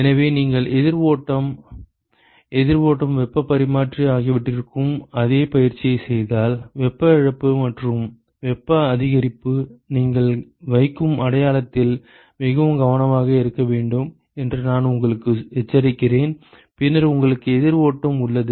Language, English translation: Tamil, So, you will see that if you do is the same exercise for counter flow, counter flow heat exchanger and I would warn you that be very careful with the sign that you put for heat loss and heat gain, then you have counter flow